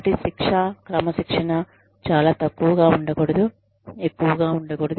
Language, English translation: Telugu, So, the punishment, the discipline, should not be too less